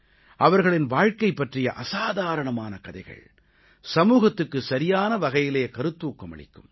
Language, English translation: Tamil, The extraordinary stories of their lives, will inspire the society in the true spirit